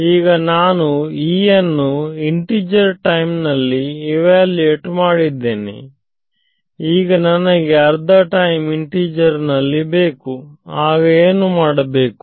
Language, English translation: Kannada, So, I have got E evaluated at integer time instance and now if I want the value of E at half time integer then what should I do